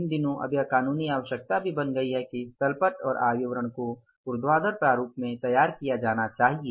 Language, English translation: Hindi, These days now it has become the statutory requirement also that the balance sheets or income statement should be prepared in the vertical format